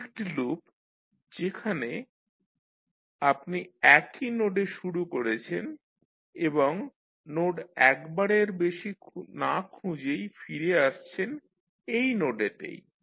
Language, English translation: Bengali, This is one loop where you are starting from the same node and coming back to the same node without tracing the nodes more than once